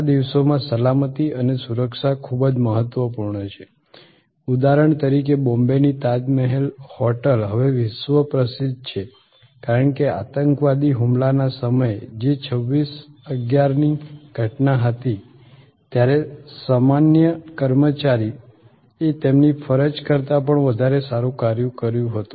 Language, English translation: Gujarati, Safety and security these days very impotent for example, the Tajmahal hotel in Bombay is now world famous, because of at the time of the terrorist attack the so called 26/11 incidents the way ordinary employees went beyond their call of duty